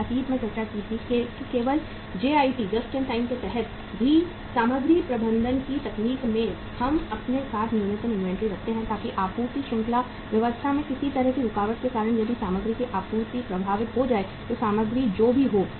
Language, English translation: Hindi, We discussed in the past that even under JIT just in time technique of material management we keep the minimum inventory with us so that because of any obstructions in the supply chain arrangements if the supply of the material gets affected then whatever the material is there in the store that can be first used